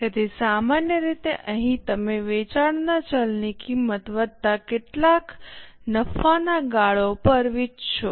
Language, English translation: Gujarati, So, typically here you will sell at the variable cost of sales plus some profit margin